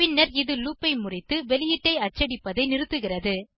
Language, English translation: Tamil, It subsequently breaks out of the loop and stops printing the output